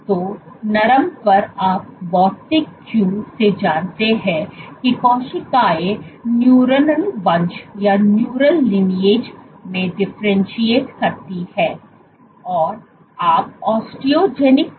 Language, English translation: Hindi, So, from the physical cue the cells tend to differentiate into neuronal lineage